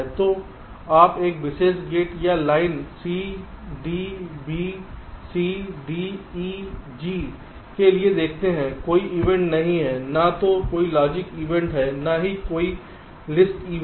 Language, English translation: Hindi, so you see, for this particular gate or the line c, d, b, c, d, e, g, there is no event in, either a logic event nor a list event